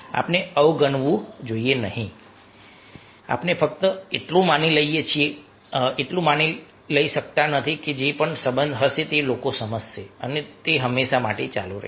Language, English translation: Gujarati, we cannot simply take for granted that whatever relationship is there, people will understand and it will continue forever